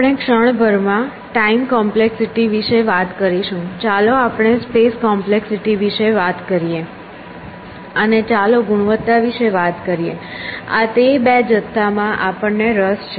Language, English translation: Gujarati, So, let us talk about will come to time complexity in a moment let us talk about space, and let us talk about quality these are the two quantities we are interested